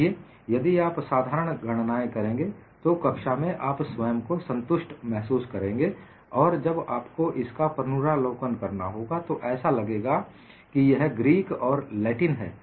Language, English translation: Hindi, See, if you do the simple calculation, in the class you feel satisfied, and also when you have to revise, it will not appear as Greek and Latin